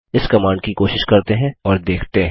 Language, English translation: Hindi, Let us try this command and see